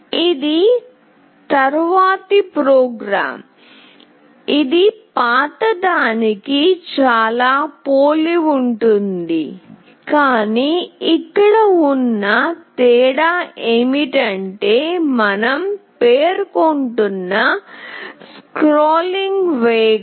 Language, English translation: Telugu, This is the next program, which is fairly similar, but the only difference being here is that the scrolling speed we are specifying